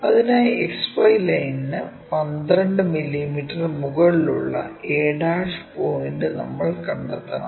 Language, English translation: Malayalam, For that we have to locate a' point which is 12 mm above XY line